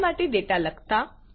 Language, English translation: Gujarati, How to write data into a file